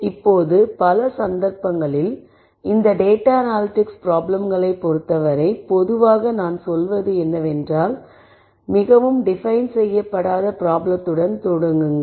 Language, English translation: Tamil, Now, in many cases as far as this data analysis problems are concerned typically you start with a very not well defined problem I would say